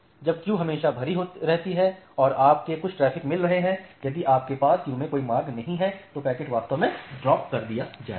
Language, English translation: Hindi, So, when the peak queues are always full and you are getting certain traffic if you do not have any passage in a queue, the packet will actually get dropped